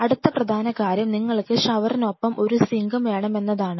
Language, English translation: Malayalam, Next important thing is that you have to have a sink along with a shower